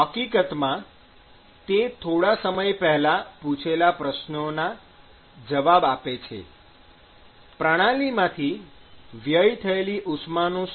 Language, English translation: Gujarati, In fact, that answers one of the questions we asked a short while ago; what about heat loss from the system